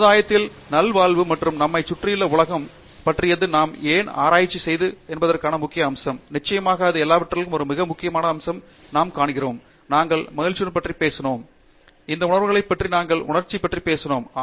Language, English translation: Tamil, So, therefore, betterment of society and world around us, is also an important aspect of why we do research and of course, one very important aspect in all of this is also we find, I mean we have talked about joy, we have talked about all these emotions, we have talked about being passionate